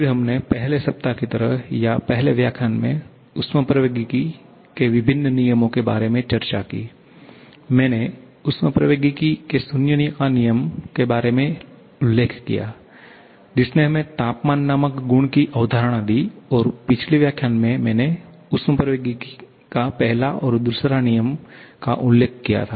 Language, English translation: Hindi, Then, we discussed about the different laws of thermodynamics like in the first week or I should say in the first lecture, I mentioned about the zeroth law of thermodynamics which gave us the concept of the property named temperature and in the previous lecture, I mentioned about both first and second law of thermodynamics